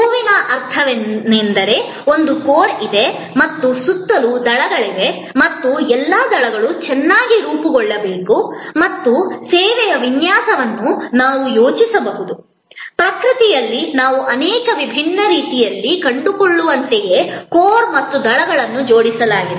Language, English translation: Kannada, The flower means that, you know there is a core and there are petals around and all the petals must be well formed and the design of the service can we thought of, just as in nature we find that the core and the petals are arranged in so many different ways